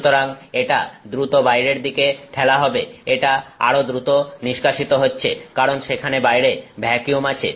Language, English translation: Bengali, So, it is being pushed out rapidly, it is also being sucked out rapidly because there is vacuum on the outside